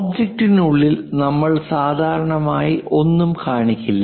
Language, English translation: Malayalam, We usually do not show it here inside the object